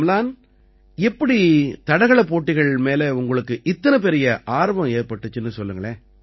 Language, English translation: Tamil, Amlan, tell me how you developed so much of interest in athletics